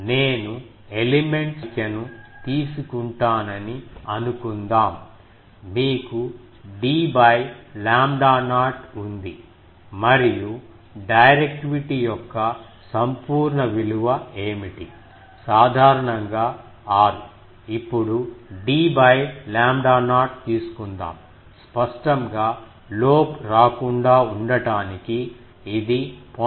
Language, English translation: Telugu, And suppose I take the number of elements, you have d by lambda not and what is the absolute value of directivity; typically, let us take 6 d by lambda not; obviously, to avoid getting lobe, this should be less than 0